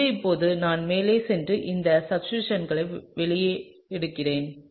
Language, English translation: Tamil, So now, let me go ahead and draw out the substituents on this